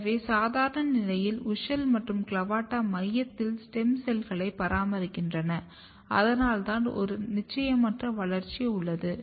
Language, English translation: Tamil, At this stage if you look WUSCHEL and CLAVATA and they are basically maintaining stem cell pool in the center and that is why there is a indeterminate growth